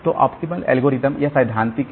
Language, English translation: Hindi, So, optimal algorithm this is a theoretical one